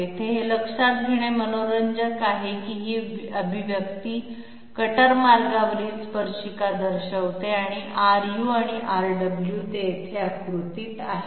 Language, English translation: Marathi, Here it is interesting to note that this expression represents the tangent along the cutter path and R u and R w, they are figuring here